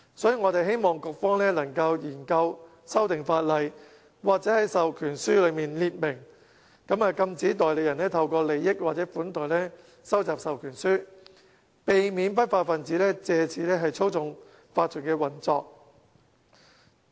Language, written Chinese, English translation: Cantonese, 所以，我們希望局方能研究修訂法例，又或在授權書內列明，禁止代理人透過利益或款待收集授權書，避免不法分子借此操縱法團運作。, Therefore we hope the Bureau can examine the feasibility of amending the legislation or stating in the proxy forms that such forms cannot be collected by providing benefits or hospitality thereby preventing those lawless people from manipulating OCs operation